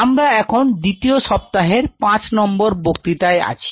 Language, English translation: Bengali, So, today we are into the fifth lecture of the second week